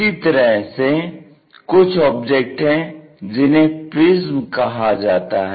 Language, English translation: Hindi, Similarly, there are different kind of objects which are called prisms